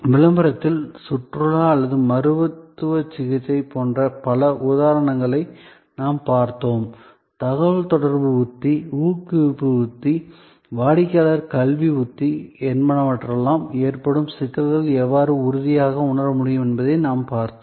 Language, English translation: Tamil, In promotion, we looked at number of examples like tourism or like a medical treatment and we saw how the communication strategy, the promotion strategy, the customer education strategy can tangible the complexities arising out of intangibility